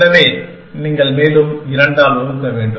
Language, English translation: Tamil, So, you have to divide further by 2